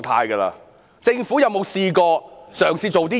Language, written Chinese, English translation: Cantonese, 主席，政府有否嘗試過做甚麼呢？, President has the Government attempted to do anything?